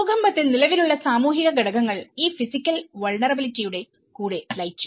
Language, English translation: Malayalam, And in the earthquake, the existing social factors merged with these physical vulnerabilities